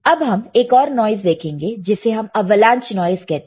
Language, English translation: Hindi, Now, let us one more kind of noise which is your avalanche noise